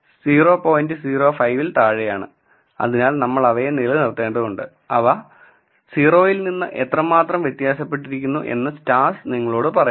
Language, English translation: Malayalam, 05 and so we need to retain them and the stars tell you how significantly different are they from 0